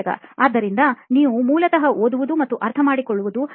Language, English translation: Kannada, So you are basically reading and understanding